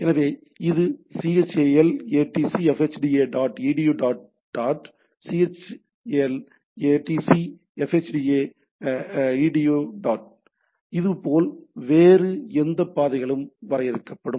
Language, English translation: Tamil, So it is chal atc fhda dot edu dot, chal atc fhda edu dot right, similarly any other paths will be defined